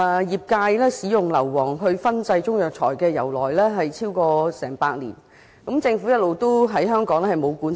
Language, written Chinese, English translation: Cantonese, 業界使用硫磺來燻製中藥材，由來已久，已超過100年，但政府一直沒有管制。, The industry has long used sulphur to fumigate Chinese herbal medicines for over a century but the Government has never exercised any control